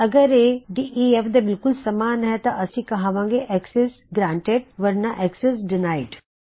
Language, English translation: Punjabi, If this equals def, were going to say Access granted else Access denied